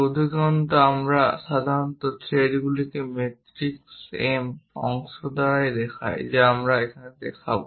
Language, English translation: Bengali, And usually these threads by metric M portions we will show